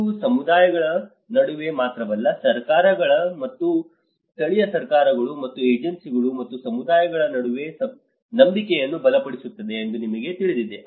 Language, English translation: Kannada, You know it builds trust not only between the communities, it also empowers trust between the governments and the local governments and the agencies and the communities